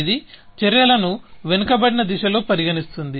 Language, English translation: Telugu, This one considers actions in a backward direction